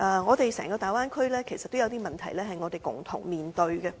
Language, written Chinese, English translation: Cantonese, 然而，整個大灣區也有些問題，是我們要共同面對的。, Nevertheless there are also some problems in the Bay Area as a whole that we have to face together